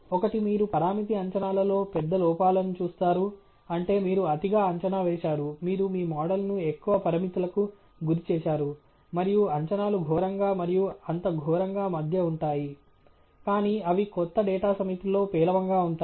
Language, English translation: Telugu, One, that you would see the large errors in parameter estimates, which means you have over estimated, you have over parameterised your model; and two that the predictions will fail somewhere between miserably to not so miserably, but they will be poor on a fresh data set